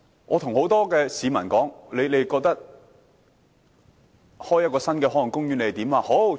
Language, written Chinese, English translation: Cantonese, 我問很多市民，他們對開設新的海岸公園有甚麼看法？, I have asked many people for their comments on setting up a new marine park